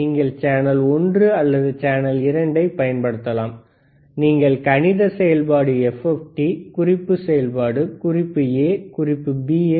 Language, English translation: Tamil, yYou see channel one or channel 2, you can change the mathematic function FFT, reference function, reference A, a reference bB